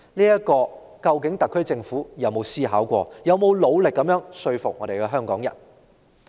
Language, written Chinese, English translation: Cantonese, 對此，究竟特區政府曾否思考過，曾否努力說服香港人？, In respect of this has the Government ever thought about this and has it ever tried to convince the people of Hong Kong?